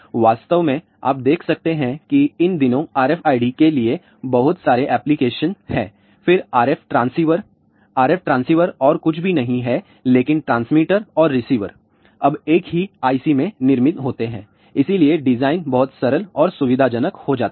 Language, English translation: Hindi, In fact, you can see that these days there are lots of applications for RFID, then RF transceiver RF transceivers are nothing, but transmitter and receivers are now built into a single IC